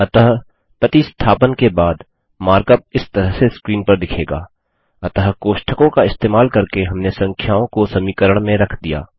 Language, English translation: Hindi, So the mark up after the substitution, is as shown on the screen: So we have substituted the numbers using parentheses in the equation